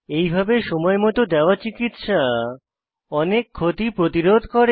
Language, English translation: Bengali, In this way, first aid given in time prevent many damages